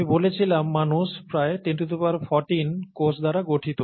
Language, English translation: Bengali, I said humans are made up of about ten power fourteen cells